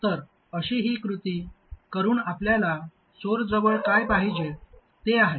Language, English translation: Marathi, So this is the action that we want at the source